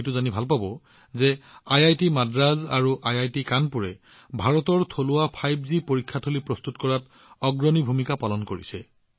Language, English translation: Assamese, You will also be happy to know that IIT Madras and IIT Kanpur have played a leading role in preparing India's indigenous 5G testbed